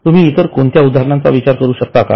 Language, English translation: Marathi, Can you think of any other example